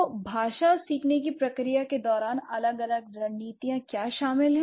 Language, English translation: Hindi, So, what are the different strategies involved during the process of learning a language